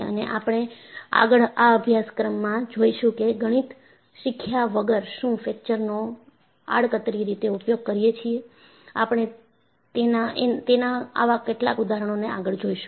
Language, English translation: Gujarati, And, we will see in this course, whether fracture also we have been using it, indirectly without learning the Mathematics; we would see some of those examples